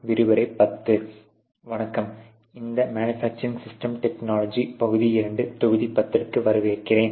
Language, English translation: Tamil, Hello and welcome to this manufacturing systems technology part 2 module 10